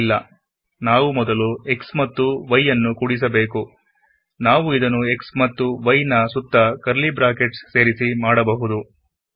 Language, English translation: Kannada, No, we want to add x and y first, and we can do this, by introducing curly brackets around x and y